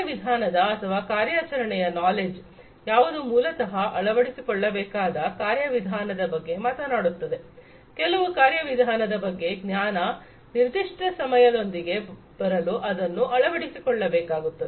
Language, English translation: Kannada, There is procedural or, operational knowledge, which basically talks about the procedures that will have to be adopted in order to; the knowledge about certain procedures, that will have to be adopted in order to come up with a, you know, a or solve a particular problem